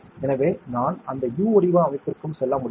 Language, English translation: Tamil, So, I can go to the other structure also that U shaped structure